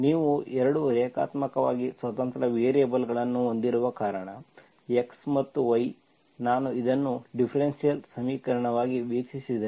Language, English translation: Kannada, Because you have 2 linearly independent variables x and y, if I view this as a differential equation